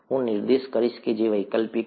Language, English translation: Gujarati, I will point out which are optional